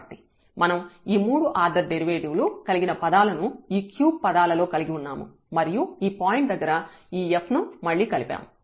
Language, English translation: Telugu, So, we have combined this again these third order derivatives terms as well in this cubed term and this f at this point